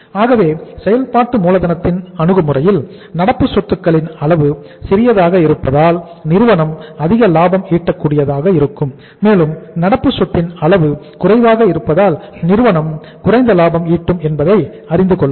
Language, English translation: Tamil, So if we look at go by the say approaches of the working capital and we see that uh smaller the amount of current assets more profitable the firm will be and higher the amount of current asset lesser the lesser profitable the firm will be